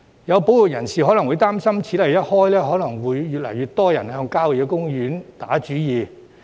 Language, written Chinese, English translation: Cantonese, 有保育人士會擔心，此例一開，可能會有越來越多人向郊野公園打主意。, Some conservationists may be worrying that once a precedent is set more and more people will have their eyes on the land within country parks